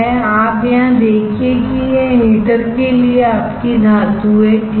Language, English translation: Hindi, You see here this one is your metal for heater, right